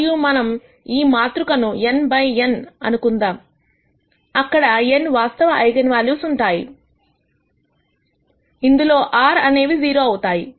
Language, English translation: Telugu, And since we are assuming this matrix is n by n, there will be n real eigenvalues of which r are 0